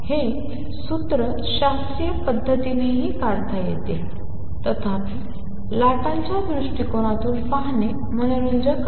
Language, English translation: Marathi, This formula can also be derived classically; however, it is interesting to look at it from the wave perspective